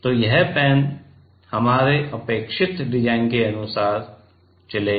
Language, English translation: Hindi, So, this pen will move according to our required design ok